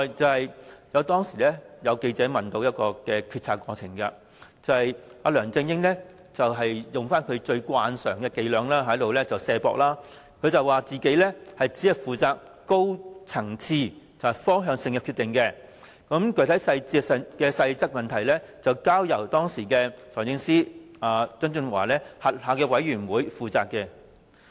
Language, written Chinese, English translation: Cantonese, 此外，當有記者問及決策過程，梁振英慣常使用卸責伎倆，聲稱自己只負責高層次、方向性的決定，有關具體細節及細則的問題則交由時任財政司司長曾俊華轄下的督導委員會負責。, In addition when a reporter asked about the decision - making process LEUNG Chun - ying resorted to his usual tactic of shirking responsibility saying that he only made high - level and directional decisions while issues concerning specific and minor details were handled by the Steering Committee under the then Financial Secretary John TSANG